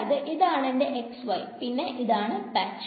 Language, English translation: Malayalam, So, this is my x y, this is my patch